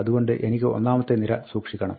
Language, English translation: Malayalam, So, I have to store the first row